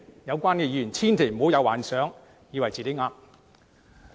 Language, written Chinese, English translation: Cantonese, 有關議員千萬不要因而幻想自己是對的。, The relevant Members should not have the delusion that they are correct because of this